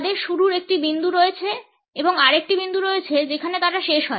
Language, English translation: Bengali, They have a point of beginning and a point at which they end